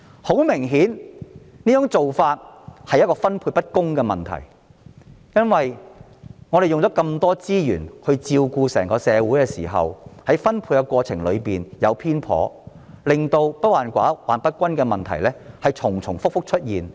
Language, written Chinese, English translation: Cantonese, 很明顯，這種做法存在分配不公的問題，我們花很多資源照顧整個社會，但在分配資源的過程中卻出現偏頗，令"不患寡而患不均"的問題反覆出現。, Obviously the problem of unfairness will arise under this approach . We have spent a lot of resources to take care of the entire society but when bias has occurred during the resource allocation process the problem of uneven distribution rather than scarcity will arise time and again